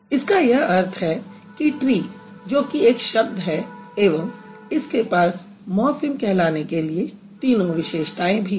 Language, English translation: Hindi, So, that means tree which is a word also has all the features of being called a morphine